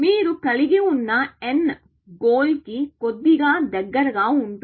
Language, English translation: Telugu, What is the difference; that you have n is little bit closer to the goal